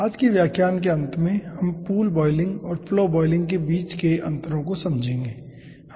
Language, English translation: Hindi, at the end of todays lecture we will be understanding the differences between pool boiling and flow boiling